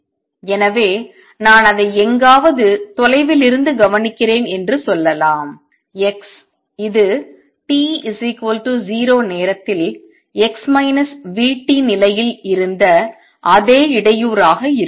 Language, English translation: Tamil, So, let us say I am observing it somewhere here at a distance x this would be the same disturbance as was at a position x minus v t at time t equal to 0